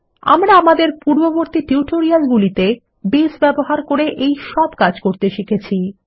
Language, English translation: Bengali, And we have done all of these operations using Base in our previous tutorials